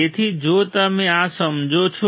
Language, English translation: Gujarati, So, if you understand this